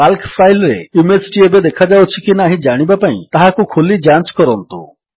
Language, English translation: Odia, Open and check if the image is still visible in the Calc file